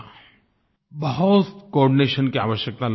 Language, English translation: Hindi, I felt the need for greater coordination